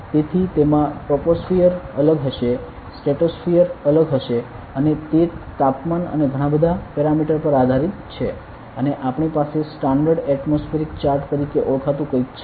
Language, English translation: Gujarati, So, in the troposphere will be different stratosphere will be different and it depends on temperature and a lot of parameters and we have something called a standard atmospheric chart